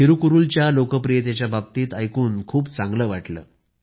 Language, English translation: Marathi, It felt nice to learn about the popularity of Thirukkural